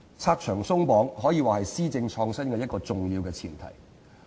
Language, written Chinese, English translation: Cantonese, "拆牆鬆綁"可以說是施政創新的一個重要前提。, It can be said that removing obstacles is an important prerequisite for innovation in policy implementation